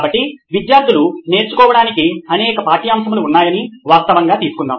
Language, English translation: Telugu, So let’s take it as a fact that there are several subjects for students to learn